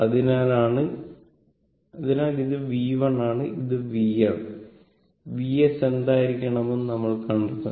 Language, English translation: Malayalam, So, this is your V 1 and this is your V 2, right